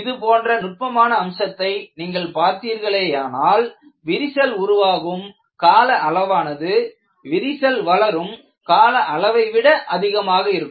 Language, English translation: Tamil, If you really look at the subtle aspect like this, you will find the crack initiation period is generally much longer than the crack propagation period